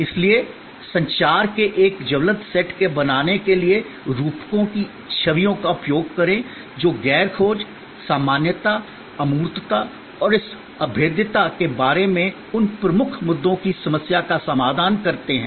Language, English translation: Hindi, So, use metaphors images to create a vivid set of communication that address the problem of those key issues regarding non searchability, generality, abstractness and this impalpability